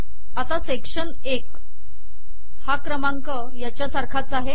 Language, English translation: Marathi, So section 1, this number is the same as this one